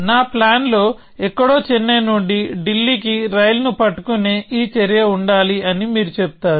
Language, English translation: Telugu, You will say that somewhere in my plan, there must be this action of catching a train from Chennai to Delhi